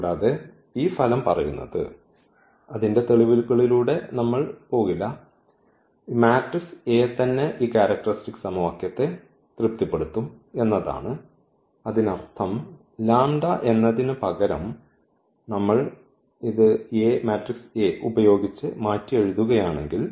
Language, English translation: Malayalam, And, this result says which we will not go through the proof that this u this matrix itself will satisfy this characteristic equation; that means, if instead of the lambda if we replace this by A